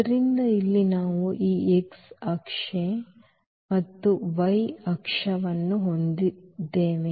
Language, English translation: Kannada, So, here we have this x axis and y axis